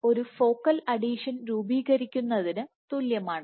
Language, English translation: Malayalam, And that is equivalent to a forming a focal adhesion